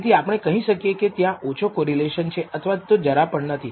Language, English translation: Gujarati, So, we can say there is little or no correlation